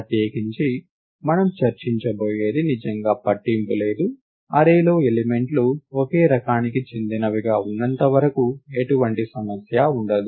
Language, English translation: Telugu, In particular whatever we are going to discuss really does not matter, what the elements of the array are as long as, they are of a single type